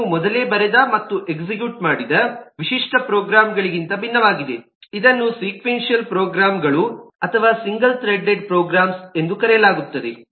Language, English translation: Kannada, that is unlike the typical programs that you may have written and executed earlier, which are called sequential programs or single threaded programs